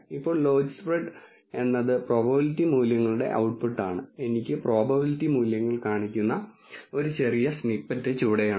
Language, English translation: Malayalam, Now, logispred is the output it has the prob ability values and I have a small snippet below that shows me the probability values